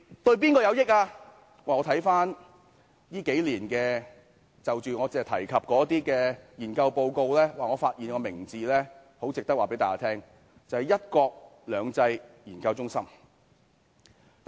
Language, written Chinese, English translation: Cantonese, 我翻閱我提及這數年的研究報告，發現有一個名字很值得告訴大家知道，便是一國兩制研究中心。, Browsing through the research reports of these several years mentioned by me I found a name worth mentioning the One Country Two Systems Research Institute